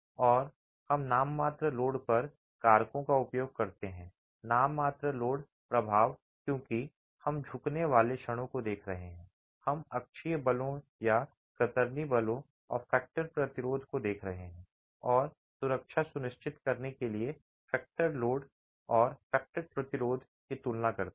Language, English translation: Hindi, This is a nominal resistance of the material and a nominal expected definition of the load and we use factors on the nominal load, the nominal load effect because we are looking at bending moments, we're looking at axial forces or shear forces and the factored resistance and compare the factored load and the factored resistance to ensure safety